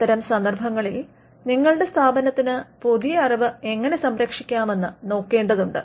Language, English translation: Malayalam, So, in such cases you may have to look at how your institution can protect new knowledge